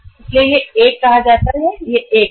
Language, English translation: Hindi, So it is uh say 1 and it is 1